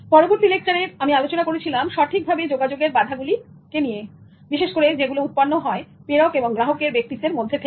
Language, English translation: Bengali, In the next lecture, I focused on barriers to communication, particularly the ones which arise out of sender and receiver's personality